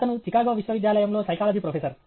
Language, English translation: Telugu, He is a professor of Psychology, University of Chicago